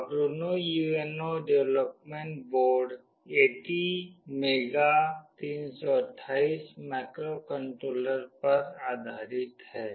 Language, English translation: Hindi, The Arduino UNO development board is based on ATmega 328 microcontroller